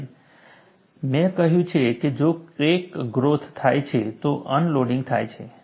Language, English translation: Gujarati, And I have said, if there is a crack growth, unloading takes place